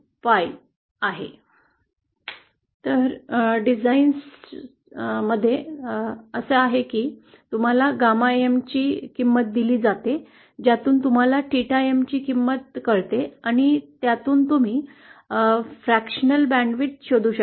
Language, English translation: Marathi, Now the way usually these designs happen is that you are given a value of gamma N from which you find out the value of theta M and from which you can find put the fractional band width